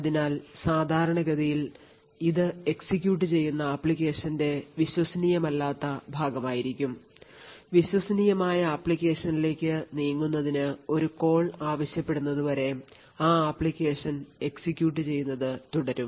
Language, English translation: Malayalam, So, when typically, it would be untrusted part of the application which is executing the application would continue to execute until there is a call required to move to the trusted app